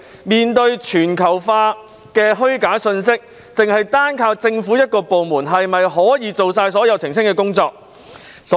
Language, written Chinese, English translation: Cantonese, 面對全球化的虛假信息，只依靠政府一個部門是否足以應付所有的澄清工作？, In the face of the globalization of false information is it sufficient to rely on only one government department to cope with all the clarification work?